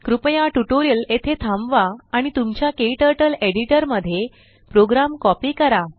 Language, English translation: Marathi, Please pause the tutorial here and copy the program into your KTurtle editor